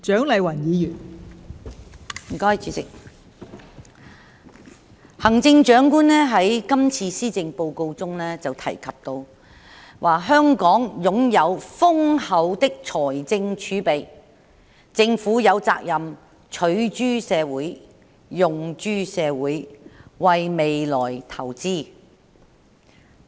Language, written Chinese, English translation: Cantonese, 代理主席，行政長官在今次施政報告中提到"香港擁有豐厚的財政儲備，政府有責任取諸社會，用諸社會，為未來投資"。, Deputy President the Chief Executive mentioned in this Policy Address that With our ample fiscal reserves it is the Governments responsibility to use resources derived from the community for the good of the community invest for the future